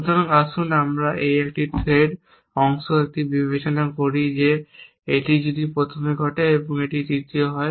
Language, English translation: Bengali, So, let us a this is the threat data an considering that this happens first this happens next in this happens third